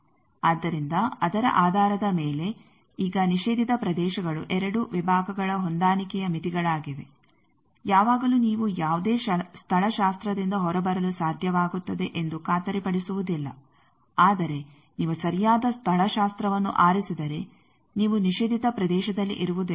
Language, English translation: Kannada, So, based on that now prohibited regions are limitations of 2 sections matching, always it is not guaranteed that you will be able to come out by any topology, but if you choose the proper topology then whatever way we have shown you would not be in the prohibited region